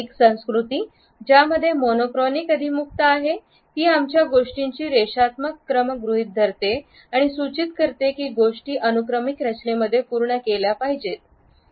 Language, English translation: Marathi, A culture which has a monochronic orientation assumes our linear order of things and it suggests that things have to be completed in a sequential pattern